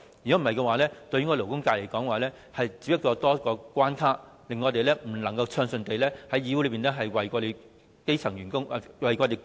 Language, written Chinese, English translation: Cantonese, 否則，勞顧會對勞工界只是增添了一個關卡，令我們不能夠暢順地在議會內為勞工議政。, Otherwise LAB will only be an additional barrier to the labour sector preventing us from smoothly deliberating labour issues in the Legislative Council